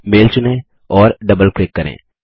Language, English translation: Hindi, Select the mail and double click